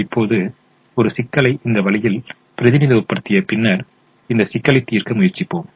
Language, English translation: Tamil, now, having represented the problem this way, let us try to solve this problem